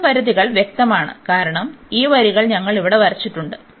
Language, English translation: Malayalam, And the x limits are clear, because these lines which we have drawn here